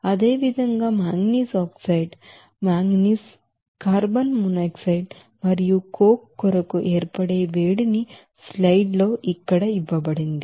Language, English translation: Telugu, Similarly, other you know heat of formations for manganese oxide, manganese, carbon monoxide and coke are given here in the slides